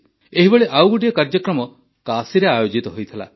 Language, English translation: Odia, One such programme took place in Kashi